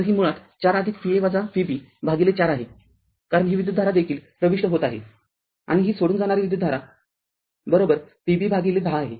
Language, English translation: Marathi, So, it is basically 4 plus V a minus V b divided by 4, because this current is also entering and this current is leaving is equal to your V b by 10